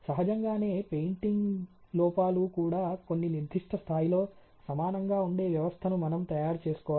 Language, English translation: Telugu, Obviously, we have to at least make a system were painting defects or also equally at some particular level